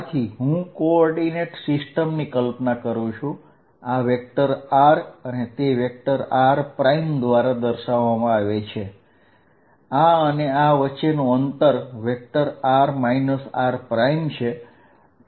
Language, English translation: Gujarati, So, let us make the co ordinate system, this is at vector r and this vector is given by r prime, the distance from here to here is this vector is r minus r prime